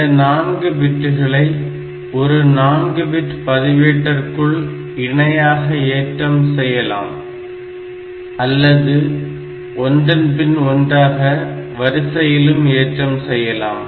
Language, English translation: Tamil, Then these 4bits may be a loaded parallel or these 4 bits may be loaded serially one bit at a time